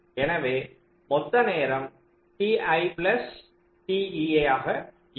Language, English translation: Tamil, so the total time will be t v i plus t e i